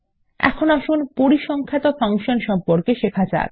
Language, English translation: Bengali, Now, lets learn how to implement Statistic Functions